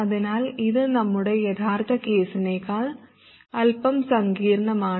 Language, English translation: Malayalam, So this is slightly more complicated than our original case